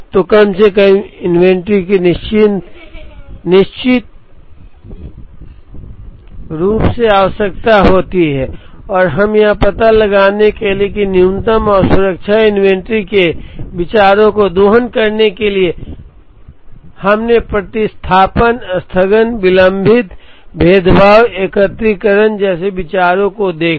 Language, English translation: Hindi, So, minimum amount of inventory is certainly require to do and to find out that minimum and to exploit ideas from safety inventory, that we saw ideas like substitution, postponement, delayed differentiation, aggregation